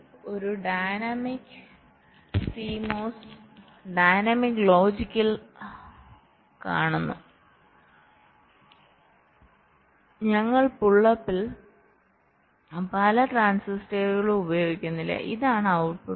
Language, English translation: Malayalam, so you see, in a dynamics c mos dynamics logic we are not using many transistors in the pull up